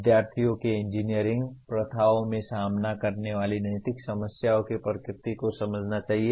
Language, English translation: Hindi, Students should understand the nature of ethical problems they face in engineering practices